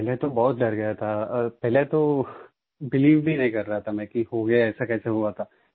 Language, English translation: Hindi, First…I was very scared, not ready to believe that it had happened